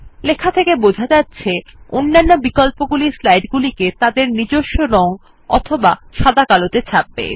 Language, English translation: Bengali, As the text describes, the other options will print the slide in its original colour or in black and white